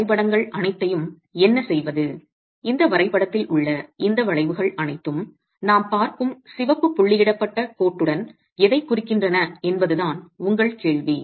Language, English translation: Tamil, Your question is again to do with what do all these graphs, what do all these curves in this graph represent with respect to the red dotted line that we are looking at